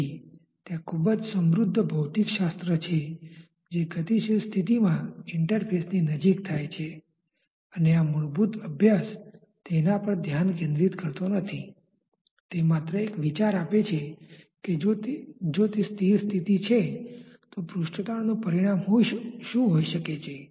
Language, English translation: Gujarati, So, there is a very rich physics that takes place close to the interface in a dynamic condition and this elemental study does not focus on that, it gives just a road idea of if it is a static condition what can be the consequence of surface tension